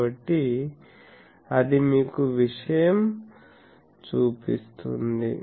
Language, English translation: Telugu, So, that shows you the thing